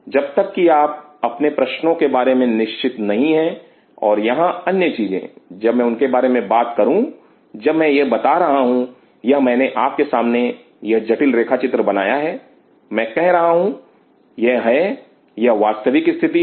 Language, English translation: Hindi, Unless you are sure the question you are asking and another thing here, when I talk about when I was telling this, this one I made this complex picture in front of you I told you this is this is the real situation